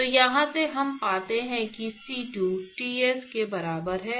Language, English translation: Hindi, So, therefore, from here we find that C2 equal to Ts